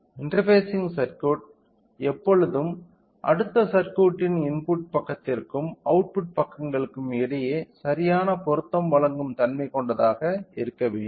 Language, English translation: Tamil, So, the interfacing circuit should always have to have a property of you know providing proper matching between the output side to the input side of the next circuit